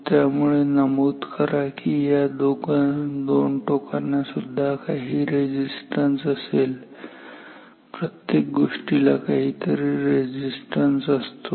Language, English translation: Marathi, So, note that this terminals also have some resistance everything has some resistance